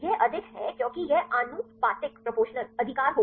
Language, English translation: Hindi, That is high because that will be proportional right